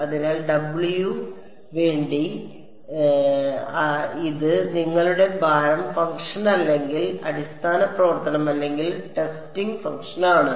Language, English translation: Malayalam, So, W for; so, this is your weight function or basis function or testing function